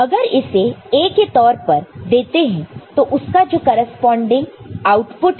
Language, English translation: Hindi, So, if you give this as A and this is the corresponding output will be